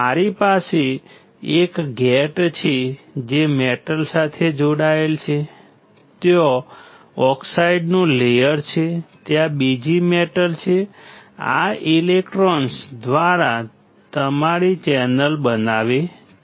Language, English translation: Gujarati, It looks like I have a gate which is connect to a metal, then there is a oxide layer, and then there is a another metal; why because this constitutes your channel, made up of electrons